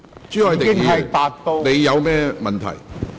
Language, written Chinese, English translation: Cantonese, 朱凱廸議員，你有甚麼問題？, Mr CHU Hoi - dick what is your point?